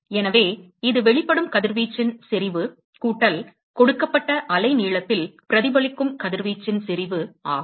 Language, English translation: Tamil, So, it is the, intensity of radiation that is emitted plus the intensity of radiation that is reflected at a given wavelength